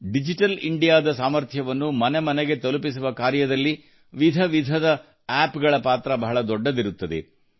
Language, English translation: Kannada, Different apps play a big role in taking the power of Digital India to every home